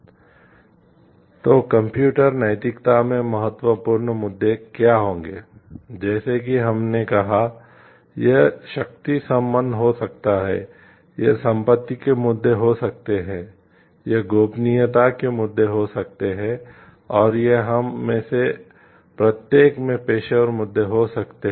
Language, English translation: Hindi, So, what will be the important issues in computer ethics, as we told like it could be power relationships, it could be property issues, it could be issues of privacy and it could be professional issues also we will be looking into each of these one by one